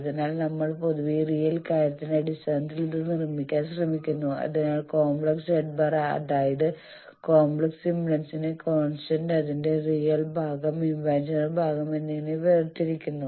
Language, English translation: Malayalam, So, here also we will see that we generally try to make this in terms of real thing so a complex Z complex impedance constant that will break into that both its real part and imaginary part